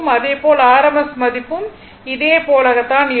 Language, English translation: Tamil, So, that the average and the rms values are the same right